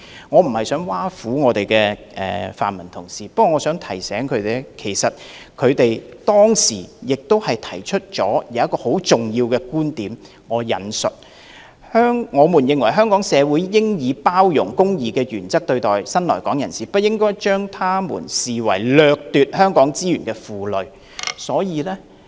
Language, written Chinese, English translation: Cantonese, 我無意挖苦泛民議員，我只是希望提醒他們，他們當時曾經提出了很重要的觀點："我們認為香港社會應以包容、公義的原則對待新來港人士，不應將他們視為掠奪香港資源的負累。, I have no intention to tease pan - democratic Members only that I wish to remind them that they put forth a very important viewpoint at the time I quote In our view the Hong Kong community should treat new arrivals with the principles of inclusion and justice rather than regarding them as a burden or looters of Hong Kongs resources